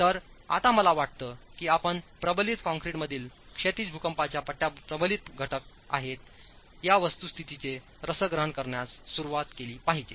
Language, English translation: Marathi, So, now I think you should start appreciating the fact that the horizontal seismic bands in reinforced concrete are reinforced elements